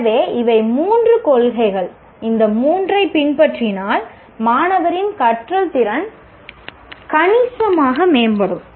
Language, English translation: Tamil, If these three are followed, the quality of the learning by the student will significantly improve